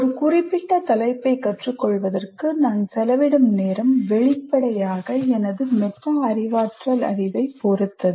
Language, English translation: Tamil, So the amount of time I spend on in learning a particular topic will obviously depend on my metacognitive knowledge